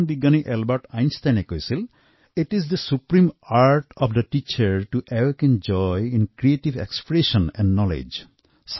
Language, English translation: Assamese, The great scientist Albert Einstein said, "It is the supreme art of the teacher to awaken joy in creative expression and knowledge